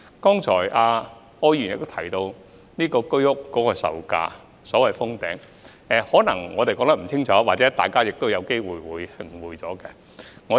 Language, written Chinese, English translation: Cantonese, 柯議員剛才亦提到居屋售價的問題，我們可能說得不清楚或大家可能有誤會。, Mr OR has also mentioned the prices of HOS units just now . We may not have made it clear enough or Members may have misunderstood